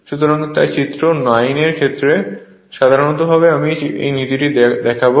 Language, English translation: Bengali, So, figure I will come, so figure 9 in general illustrates the principle next I will show